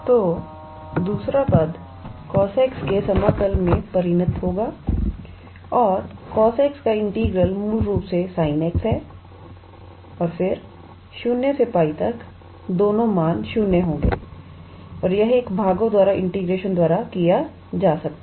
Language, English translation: Hindi, So, the second term will result into integral of cos x and integral of cos x is basically sin x and then from 0 to pi, both the values will be 0 and this one can be treated by integration by parts